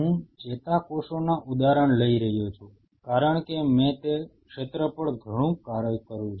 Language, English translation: Gujarati, I am taking examples of neurons, because I have done intense work on that area